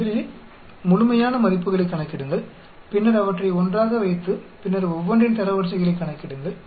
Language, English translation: Tamil, First calculate the absolute values then put them together and then calculate the ranks of each one of them